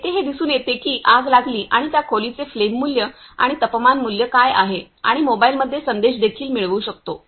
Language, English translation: Marathi, Here this show that fire broke out and what is the flame value and temperature value of that can that room and also get to also get a message in the mobile